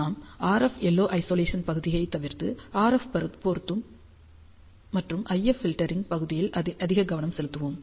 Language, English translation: Tamil, We are going to skip the RF and LO Isolation part, but we will focus more on the RF matching and IF filtering part